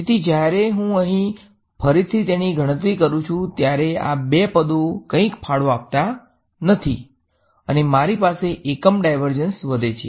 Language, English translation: Gujarati, So, when I calculate the divergence over here again these two guys are going to contribute nothing and I am left with it has unit divergence